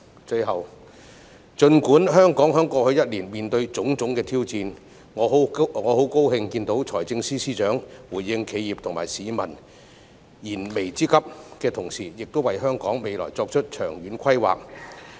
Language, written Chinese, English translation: Cantonese, 最後，儘管香港在過去一年面對種種挑戰，我很高興看到財政司司長回應企業及市民燃眉之急，亦為香港未來作出長遠規劃。, Last but not least in spite of the fact that Hong Kong encountered various challenges last year I am really happy to see that FS has responded to the pressing needs of enterprises and the public and made long - term plans for the future of Hong Kong